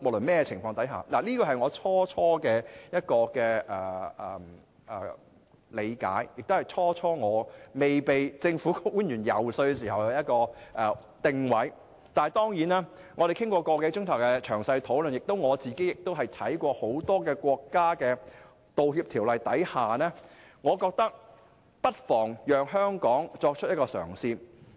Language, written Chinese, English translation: Cantonese, 這是我最初期的理解，亦是我未被政府官員遊說時的定位，但經過個多小時的詳細討論後，加上我亦參考了很多國家的道歉法例，我現在認為不妨讓香港作出一個嘗試。, This was my understanding at the very beginning and my position on the issue before I was lobbied by the Government . However after discussing the issue thoroughly with government officials for more than an hour and studying the apology legislation in many other countries I now think that we may give the idea a try in Hong Kong